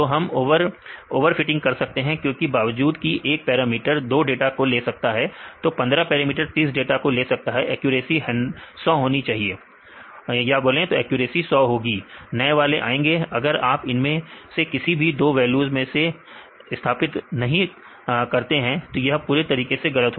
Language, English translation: Hindi, So, we can cause over fitting because even if 1 parameters can take care of 2 data; all the 15 parameters can take care of all the 30 data; accuracy will be 100, but new one comes if you will not fit within any of these two values, then completely that is totally wrong